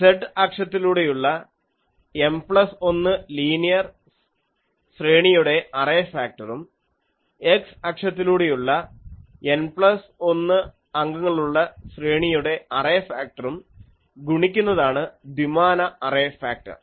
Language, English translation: Malayalam, The two dimensional array factor will be the product of the array factor for M plus 1 linear array along the z axis with the array factor for the N plus 1 elements array along the x